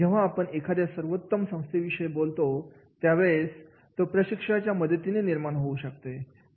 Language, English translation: Marathi, And when we talk about the great workplace, they create with the help of trainers